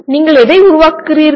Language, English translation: Tamil, What do you generate